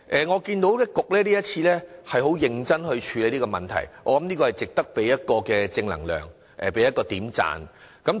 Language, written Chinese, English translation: Cantonese, 我看到局方今次很認真處理這個問題，這是值得給予正能量及點讚的。, I notice that the Bureau has made a great effort in handling this problem . This deserves our positive comments and applause